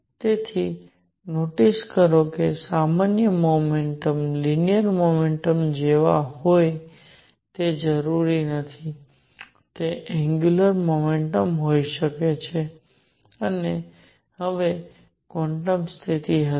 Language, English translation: Gujarati, So, notice that generalized momentum is not necessarily same as linear momentum it could be angular momentum and the quantum condition now would be